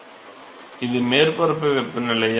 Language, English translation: Tamil, Is it surface temperature